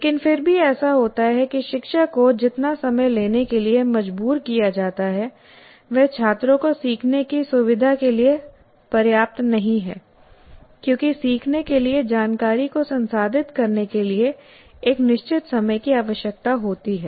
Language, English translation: Hindi, but still what happens is the amount of material, the time the teacher is forced to take is not sufficient to facilitate the students to learn because learning requires certain amount of time to process the information